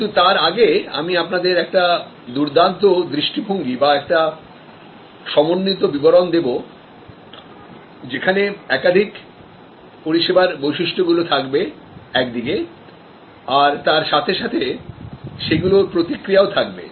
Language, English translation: Bengali, But, before that let me give you a nice view, composite view of the characteristics of services on one side and the responses linked to that